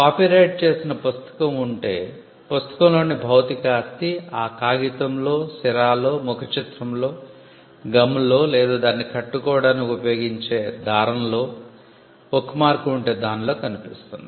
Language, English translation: Telugu, If there is a book which is copyrighted book, the physical property in the book as I said manifests in the pages, in the ink, in the cover, in the gum or the glue adhesive that is used to bind it and in the bookmark of the book has one